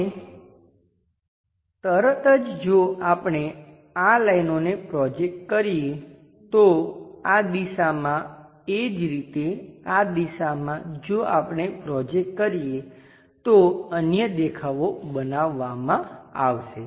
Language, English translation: Gujarati, Now, immediately if we are projecting these lines, in this direction similarly in this direction if we are projecting the other views will can be constructed